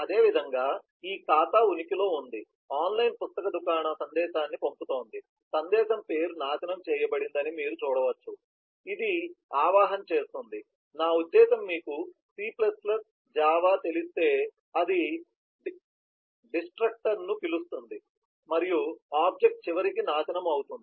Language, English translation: Telugu, similarly, this account exists, an online book store is sending a message, you can see the name of the message is destroyed, which does invoke, i mean if you know c++, java, it invokes the destructor and the object is eventually destroyed